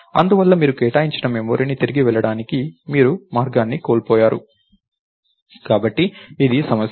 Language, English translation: Telugu, Therefore, you lost the trail to go back to the memory that you allocated, so this is the problem